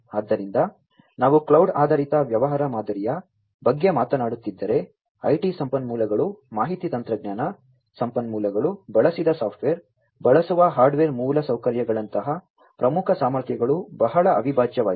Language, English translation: Kannada, So, if we are talking about the cloud based business model, what is very integral is the core competencies like the IT resources IT means, Information Technology resources, the software that is used, the hardware infrastructure that is used